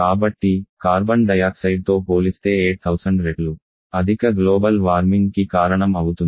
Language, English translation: Telugu, So, 8000 times higher global warming